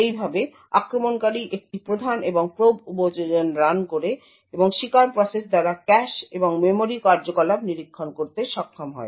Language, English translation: Bengali, Thus, the attacker runs a prime and probe application and is able to monitor the cache and memory activity by the victim process